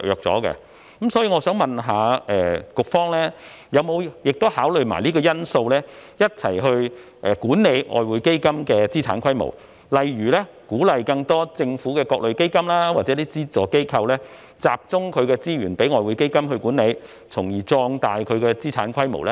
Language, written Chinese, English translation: Cantonese, 所以，我想問局方有否同時考慮這因素，一併管理外匯基金的資產規模，例如鼓勵把更多的政府各類基金或資助機構資源集中起來，連同外匯基金一併作出管理，從而壯大其資產規模呢？, I would therefore like to ask if the Bureau has considered this factor for the management of the asset size of EF . For example will resources from more government funds or subvented non - governmental organizations be encouraged to be pooled together along with EF for collective management thereby expanding its asset size?